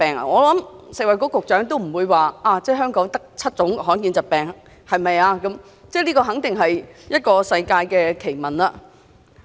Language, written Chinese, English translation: Cantonese, 我想食物及衞生局局長也不會認同，香港只有7種罕見疾病，這肯定是世界奇聞。, I believe the Secretary for Food and Health will also disagree with that conclusion . It is absolutely the oddest piece of news on earth if Hong Kong only has seven rare diseases